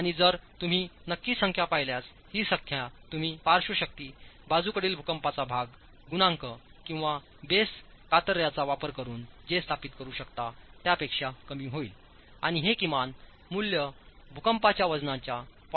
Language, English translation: Marathi, And if you look at the numbers, of course these numbers are going to be lower than what you can establish using the base the lateral force, lateral seismic coefficient of the base shares and these minimum values are 0